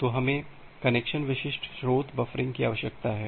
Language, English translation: Hindi, So, we need connection specific source buffering